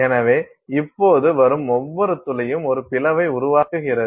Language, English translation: Tamil, So, now every drop that is coming forms a splat